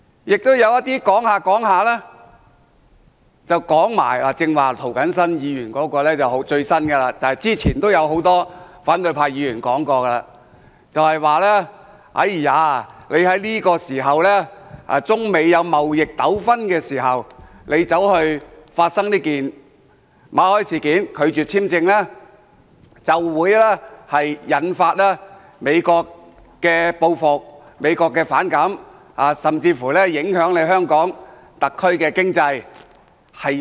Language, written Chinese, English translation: Cantonese, 亦有一些議員說着說着，例如涂謹申議員剛才所說的是最新的理由，之前也有很多反對派議員說過，就是特區政府在中美出現貿易糾紛時拒絕馬凱簽證申請，會引發美國的反感和報復，影響香港特區的經濟。, Some other Members like Mr James TO have come up with new justification . In fact many opposition Members have mentioned this point before which is the SAR Governments refusal to renew Victor MALLETs work visa in the midst of the trade war between China and the United States will arouse the United States resentment and retaliation which will in turn jeopardize the economy of the Hong Kong SAR